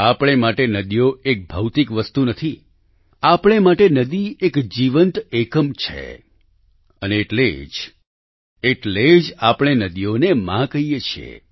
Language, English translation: Gujarati, For us, rivers are not mere physical entities; for us a river is a living unit…and that is exactly why we refer to rivers as Mother